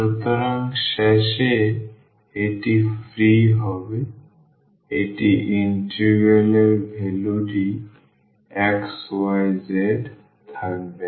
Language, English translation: Bengali, So, at the end this will be free this integral value will not have anything of x y z